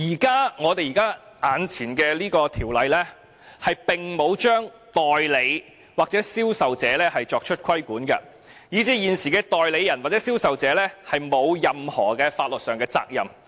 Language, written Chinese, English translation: Cantonese, 此外，現行的《條例草案》並沒有對代理或銷售者作出規管，以至現時的代理人或銷售者沒有任何法律上的責任。, Furthermore the existing Bill does not regulate agents or salespersons and so these persons do not have to bear any legal liability at present